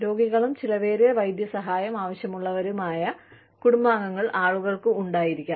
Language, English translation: Malayalam, People could have family members, who are sick, who need expensive medical care